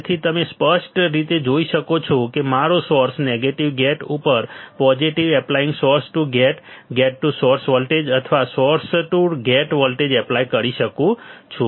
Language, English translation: Gujarati, So, you can see clearly my source is negative gate is positive applying source to gate, gate to source voltage or source to gate voltage